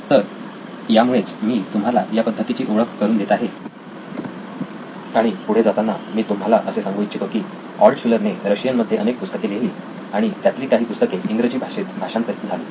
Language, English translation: Marathi, So this is why I am introducing you to this method, to continue and finish up the story Altshuller wrote many, many books in Russian Few of them were translated to English